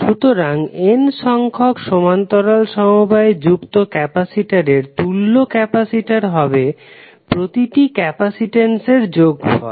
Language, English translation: Bengali, So what you can say, equivalent capacitance of n parallel connected capacitor is nothing but the sum of the individual capacitances